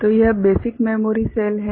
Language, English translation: Hindi, So, this is the basic memory cell all right